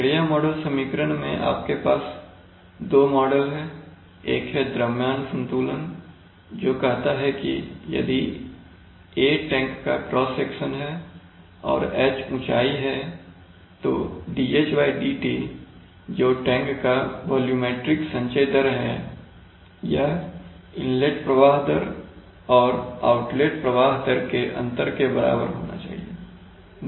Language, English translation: Hindi, So then what are the, what are the, what are the process model equations, the process model equations, you have two models one is mass balance which says that the A is the cross section of the tank and H is the height, so dH/dt is the, is the volumetric accumulation of, accumulation rate of the tank, it says that, that must be equal to the inlet flow rate minus the outlet flow rate that is simple